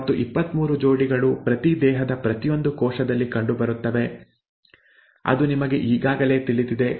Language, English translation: Kannada, And the 23 pairs are found in each cell in each body, that that you already know